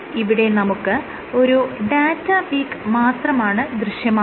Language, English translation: Malayalam, So, what you see is you are only seeing one data peak, why is that